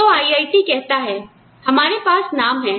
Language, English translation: Hindi, So, IIT says, we have a name